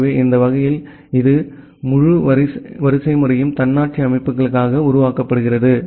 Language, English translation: Tamil, So, that way this entire hierarchy is being formed for the autonomous systems